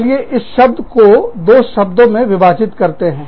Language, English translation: Hindi, Let us split this word, into two words